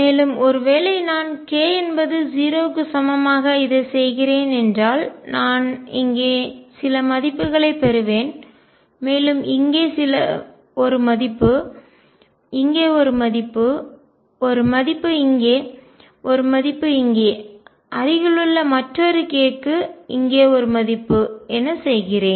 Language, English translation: Tamil, So, suppose I do it for k equals 0 I will get some value here, one value here, one value here, one value here one value here, I do it for another k nearby either a value here